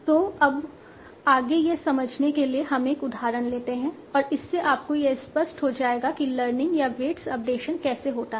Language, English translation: Hindi, So now to further understand that, let us take an example and that will make it clear to you that how the learning or how the weight of decision takes place